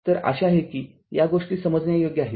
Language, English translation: Marathi, Hope it is understandable to you